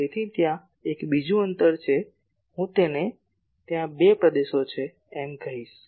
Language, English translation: Gujarati, So, there is another distance let me call this there are two regions